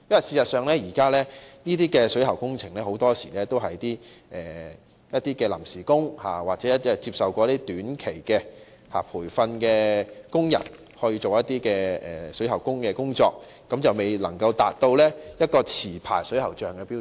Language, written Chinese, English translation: Cantonese, 事實上，就現時的水喉工程而言，很多時都是由一些臨時工或曾接受短期培訓的工人進行有關工程，未能夠達到持牌水喉匠的標準。, In reality many a time the current plumbing works are carried out by temporary workers or workers with short - term training . Their standards are not on a par with licensed plumbers